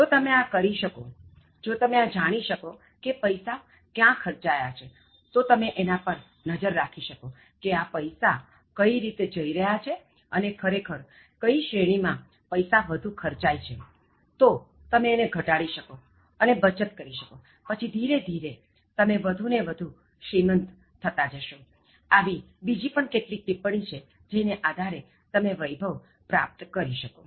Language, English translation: Gujarati, But, if you are able to do this, if you know where your spend and then if you are able to keep a track on how this money is going and which category is actually making you spend more and if you are able to reduce okay and then save, so actually slowly and gradually you will be becoming richer and richer and then there are other tips like on the path of accumulating wealth